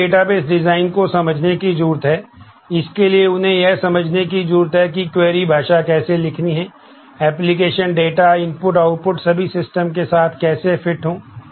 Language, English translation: Hindi, So, they need to understand the database designs they need to understand how to write the query language, how to fit with the application data, input, output all the systems